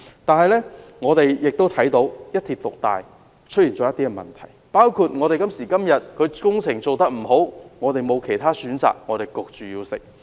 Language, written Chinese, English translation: Cantonese, 然而，我們亦看到"一鐵獨大"帶來的問題，包括現時的工程即使做得不到位，我們也沒有其他選擇，被迫要接受。, However we are also aware of the problems brought by one dominant railway operator in the market . For example we have no other options but accept those sub - standard works projects now